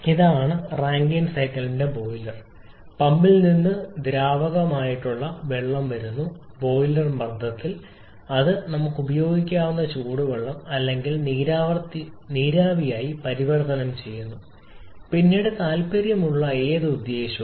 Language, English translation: Malayalam, This is the boiler of the Rankine cycle liquid water is coming from the pump at the boiler pressure and it is converted to steam that hot water or steam that we can use for subsequently whatever purpose that we are interested